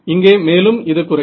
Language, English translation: Tamil, So, it's going to drop